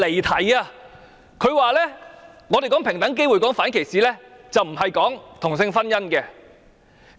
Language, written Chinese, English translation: Cantonese, 他說，他們談論平等機會、反歧視，並不是談論同性婚姻。, He said that we had digressed from the subject saying that the discussion was about equal opportunities and non - discrimination but not same - sex marriage